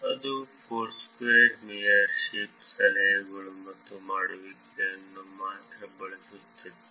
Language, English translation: Kannada, That was only using the Foursquare mayorship, tips and dones